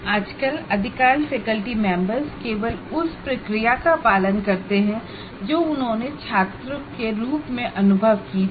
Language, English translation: Hindi, Now coming to the current practices, most faculty members simply follow the process they experienced as students